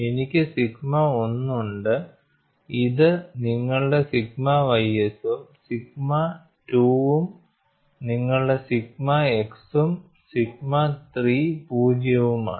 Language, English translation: Malayalam, So, a sigma x variation will be like this and your sigma y variation will be like this